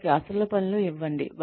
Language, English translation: Telugu, Give them actual tasks